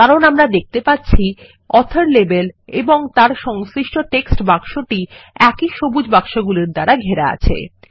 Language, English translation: Bengali, This is because we see that the author label and its textbox adjacent to it, are encased in one set of green boxes